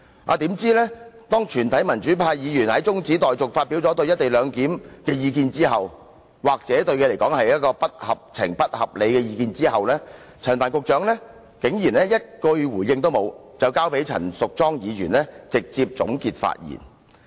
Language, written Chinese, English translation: Cantonese, 豈料當全體民主派議員就中止待續議案發表對"一地兩檢"的意見後——這些意見對他來說或許是不合情、不合理——陳帆局長竟然一句也沒有回應，便交由陳淑莊議員直接總結發言。, Yet after all Members from the pro - democratic camp had expressed their views on the co - location arrangement under the motion of adjournment―the Secretary might consider these views unjustified and unreasonable―the Secretary did not say a word in reply; he simply skipped his turn and let Ms Tanya CHAN give her concluding speech